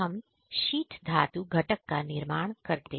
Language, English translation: Hindi, We are manufacturing sheet metal component and fabrication